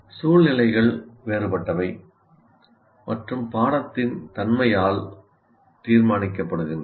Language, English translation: Tamil, So, situations are different by the nature of the course